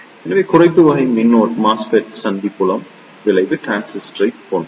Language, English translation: Tamil, So, the Depletion type MOSFET is similar to the Junction Field Effect Transistor